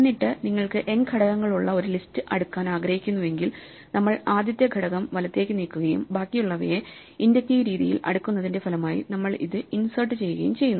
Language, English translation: Malayalam, And then if you want to sort a list with n elements, we pull out the first element right and then we insert it into the result of inductively sorting the rest